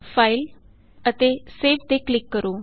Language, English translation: Punjabi, Click on File and Save